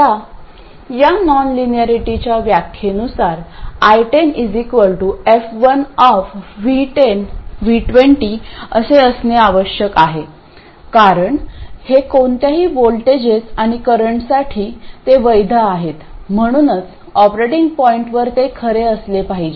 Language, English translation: Marathi, Now, by definition of this non linearity, I 10 has to be equal to F1 of V1 and V20 because these are valid for any voltages and currents, so it clearly has to be true at the operating point and I20 will be F2 of V10 and V2 0